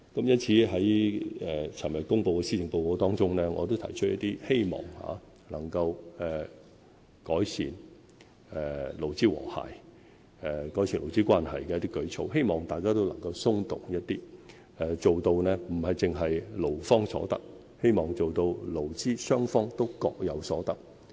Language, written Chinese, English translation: Cantonese, 因此，在昨天公布的施政報告中，我提出一些希望能夠改善勞資和諧、改善勞資關係的舉措，希望大家都能夠稍作讓步，不單做到勞方有所得，而是勞資雙方都各有所得。, Hence in the Policy Address released yesterday I have proposed some initiatives with the aim of enhancing employer - employee harmony and improving labour relations . I hope that both sides can make some concessions to the benefit of not only the employees but both sides